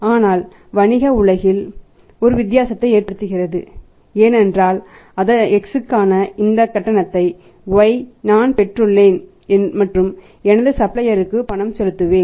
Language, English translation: Tamil, But it makes a difference in the business world because Y is depending upon that I received this payment for X and I will make the payment to my supplier